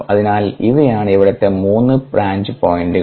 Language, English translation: Malayalam, so these are the three branch points here